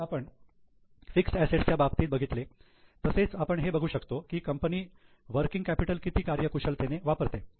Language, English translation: Marathi, Now just like fixed assets, we can also see how efficiently business is using working capital